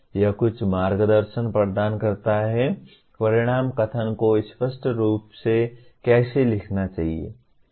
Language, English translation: Hindi, It provides some guidance that is how clearly the outcome statements need to be written